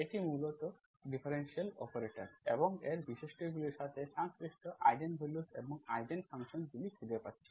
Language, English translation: Bengali, That is basically finding Eigen values and Eigen functions corresponding to the differential operator and then its properties